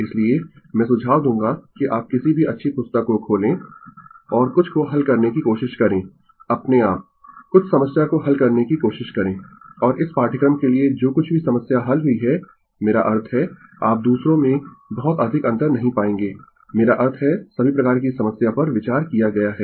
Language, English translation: Hindi, So, I will suggest that you open any good book and try to solve some try to solve some problem of your own, and whatever problem had been solved for this course I mean you will not find much difference in others, I mean all varieties of problem have been considered right